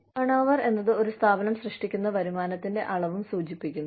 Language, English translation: Malayalam, Turnover also, refers to the amount of revenue, generated by an organization